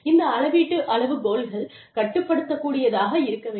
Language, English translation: Tamil, The measurement criteria, should be controllable